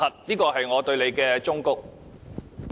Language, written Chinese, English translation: Cantonese, 這是我對你的忠告。, This is my advice to you